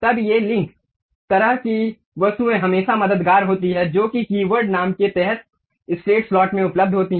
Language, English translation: Hindi, Then these links kind of objects always be helpful which under the key word name straight slot available